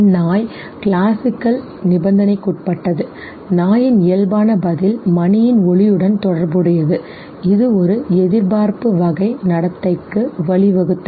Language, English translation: Tamil, That the dog was classically conditioned, the natural response of the dog got associated with the sound of the bell which led to an anticipatory type of behavior